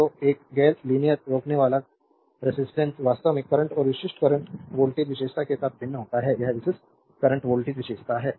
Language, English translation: Hindi, So, resistance of a non linear resistor actually varies with current and typical current voltage characteristic is this is the typical current voltage characteristic